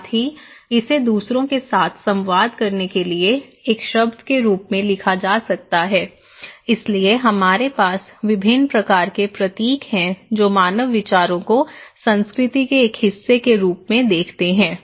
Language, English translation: Hindi, Also, it could be written as a word to communicate with others okay so, we have different kind of symbols that human views as a part of culture